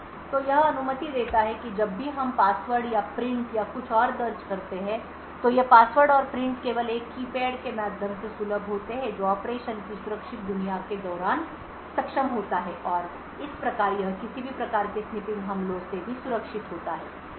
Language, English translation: Hindi, So, this would permit that whenever we enter passwords or prints or anything else so these passwords and prints are only accessible through a keypad which is enabled during the secure world of operation and thus it is also secure from any kind of snipping attacks